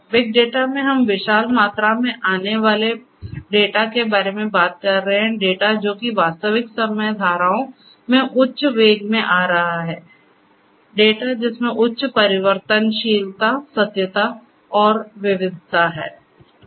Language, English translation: Hindi, Big data we are talking about data coming in huge volumes, coming in you know high velocities in real time streams of data; data of which have high variability and veracity, variety of data and so on